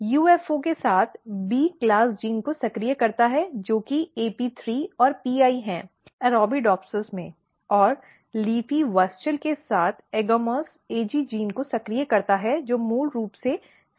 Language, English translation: Hindi, LEAFY together with UFO activate B class gene which is AP3 and PI in Arabidopsis and LEAFY together with WUSCHEL activate AGAMOUS, AG gene which is basically C class genes